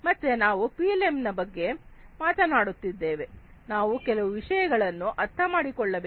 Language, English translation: Kannada, So, if we are talking about PLM, we need to understand few things